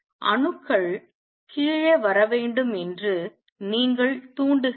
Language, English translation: Tamil, You stimulate you got the atoms to come down to lower